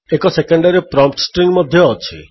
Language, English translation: Odia, There is a secondary prompt string also